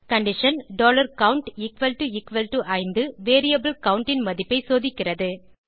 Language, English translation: Tamil, The condition $count equal to equal to 5 is checked against the value of variable count